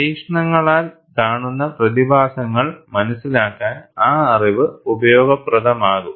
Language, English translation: Malayalam, That knowledge would be useful, to understand the phenomena observed in the experiments